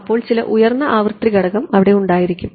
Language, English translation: Malayalam, So, there will be some high frequency component right